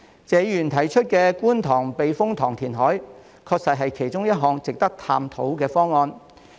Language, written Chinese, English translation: Cantonese, 謝議員提出觀塘避風塘填海，確實是其中一項值得探討的方案。, The KTTS reclamation proposed by Mr TSE is indeed one of the options worth exploring